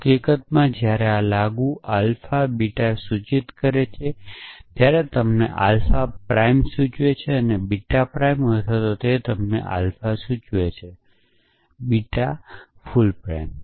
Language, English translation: Gujarati, So in fact, when applied alpha implies beta, it gives you alpha prime implies beta prime or it gives you alpha implies beta whole prime